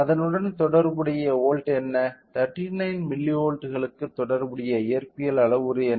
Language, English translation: Tamil, So, what is the corresponding volt, what is the corresponding physical parameter for 39 milli volts